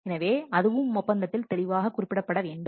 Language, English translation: Tamil, All those things should be clearly mentioned in the contract